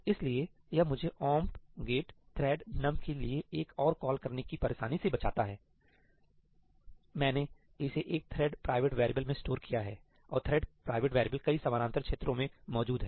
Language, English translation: Hindi, So, that saves me the trouble of making another call to ëomp get thread numí; I have stored it in a thread private variable and thread private variables exist across multiple parallel regions